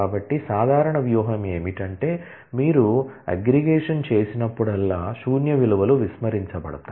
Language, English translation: Telugu, So, the general strategy is that, whenever you perform aggregation then the null values are all ignored